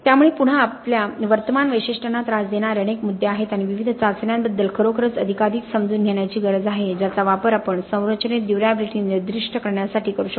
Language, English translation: Marathi, So again there are several issues plaguing our current specifications and the need is there to really bring in more and more understanding of different tests that we can use to specify durability in the structure, okay